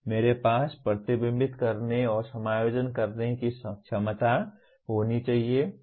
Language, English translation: Hindi, I should have the ability to reflect and keep making adjustments